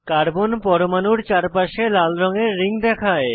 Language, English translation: Bengali, Red colored rings appear around the carbon atoms